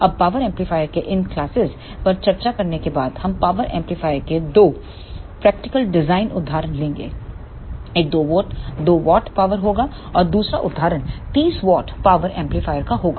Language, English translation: Hindi, Now, after discussing these classes of power amplifier we will take two practical design examples of power amplifier one will be of 2 watt power and another example will be of 30 watt power amplifier